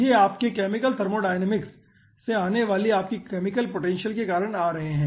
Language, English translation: Hindi, okay, these are coming due to your chemical potential, coming from your chemical thermodynamics